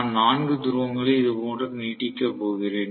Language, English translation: Tamil, So, I am going to have essentially 4 poles protruding like this